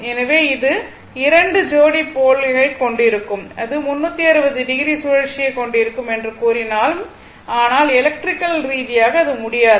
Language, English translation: Tamil, But if it is may pair your if you have 2 pairs of pole, although it will make your what you call that your 360 degree rotation, but electrically it is not, electrically it is not right